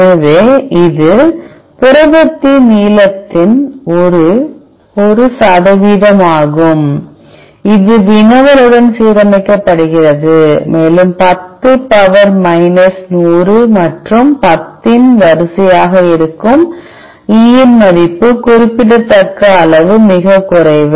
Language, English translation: Tamil, So, it is a percentage of length of the protein which is aligned with the querry and, the E value which is an order of 10 power minus 100 and, 10 which is very very low on significant